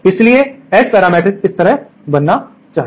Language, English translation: Hindi, So, the S parameter matrix for a magic tee